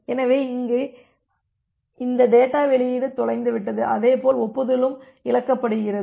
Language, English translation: Tamil, So, here this data release is lost and as well as the acknowledgement is lost